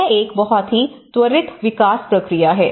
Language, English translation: Hindi, So, it is a very quick development process